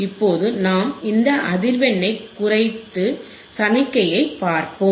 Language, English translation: Tamil, Now we will decrease this frequency, we will decrease the frequency and look at the signal